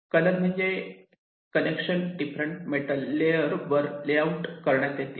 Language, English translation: Marathi, colors means these connections are laid out on different metal layers